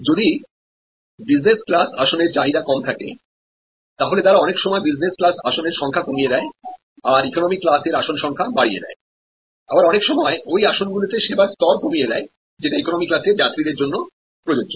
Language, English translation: Bengali, If there is a low level of demand for the business class seats, they can out some of the business class seat areas and plug in or sometimes just change the service level and often them to economy passengers